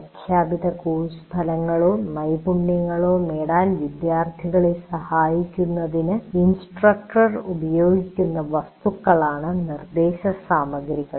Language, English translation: Malayalam, It is what the instructor uses for facilitating the students to achieve the stated course outcomes